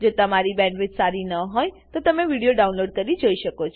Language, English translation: Gujarati, If you do not have good bandwidth, you can download and watch the videos